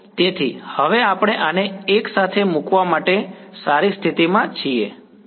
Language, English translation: Gujarati, So, now, we are in a good position to put this together